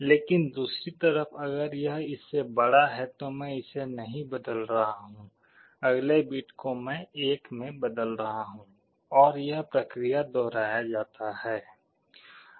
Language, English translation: Hindi, But on the other side if it is greater than, I am not changing, the next bit I am changing to 1, and this process repeats